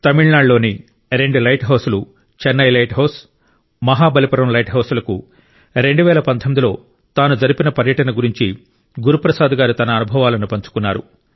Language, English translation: Telugu, Guru Prasad ji has shared experiences of his travel in 2019 to two light houses Chennai light house and Mahabalipuram light house